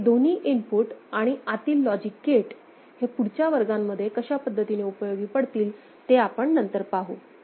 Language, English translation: Marathi, Later on, we will see how these two inputs and this internal logic gate will be helpful in subsequent classes